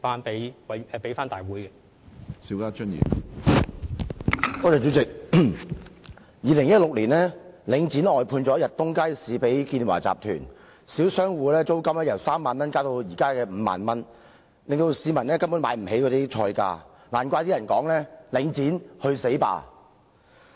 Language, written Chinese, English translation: Cantonese, 主席，領展在2016年把逸東街市外判給建華集團，小商戶的租金由3萬元增至現時的5萬元，令市民根本無法負擔該街市的菜價，難怪有人說："領展，去死吧!"。, President after Link REIT outsourced the management of Yat Tung Market to Uni - China the rent payable by the small shop operators increased from 30,000 to 50,000 . As a result members of the public cannot afford to buy food in that market . No wonder some people would say Link REIT go to hell!